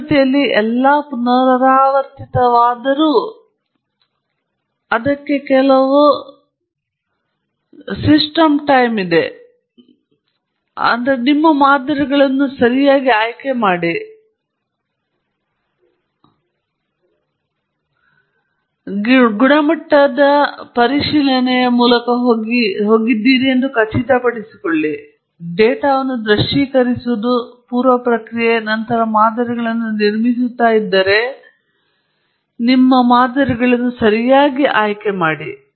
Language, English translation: Kannada, All in all iterative in nature, but there is a certain systematizm to it choose your models properly and make sure that you go through the data quality check; visualize the data; pre process; then choose your models properly, if you are building models and so on